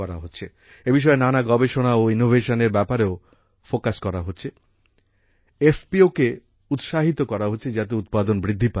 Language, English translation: Bengali, Along with focusing on research and innovation related to this, FPOs are being encouraged, so that, production can be increased